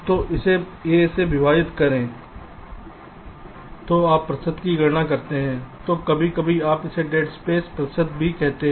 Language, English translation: Hindi, if you calculate the percentage this sometimes you call it as dead space percentage